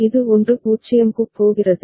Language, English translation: Tamil, This is going to 1 0